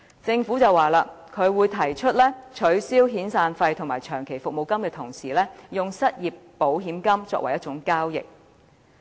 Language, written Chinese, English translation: Cantonese, 政府表示會在取消遣散費和長期服務金時，用失業保險金作為替代。, The Government indicated severance payment and long service payment would be abolished and replaced by an unemployment insurance fund